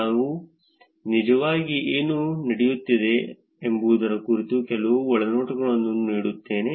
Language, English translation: Kannada, I will actually give some insights about what is going on